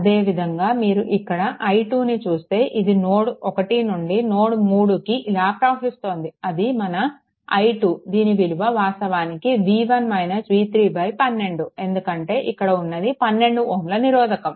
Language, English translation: Telugu, And similarly if I let me clear it right ah and similarly if you ah see the i 2 i 2 this flowing from node 1 to node 3 this is your i 2 it will be actually v 1 minus v 3 by 12 because this is 12 ohm resistor right